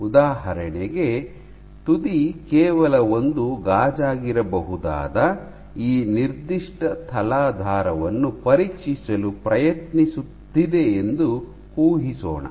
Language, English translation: Kannada, So, for example let us assume that tip is trying to probe this particular substrate which can be just glass